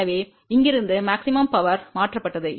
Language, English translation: Tamil, So, from here maximum power got transferred